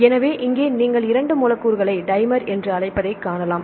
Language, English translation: Tamil, So, here you can see the 2 molecules right they are called a dimer right